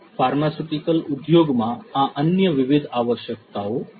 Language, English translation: Gujarati, These are the different other requirements in the pharmaceutical industry